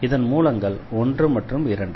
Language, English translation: Tamil, So, the roots are 1 and 2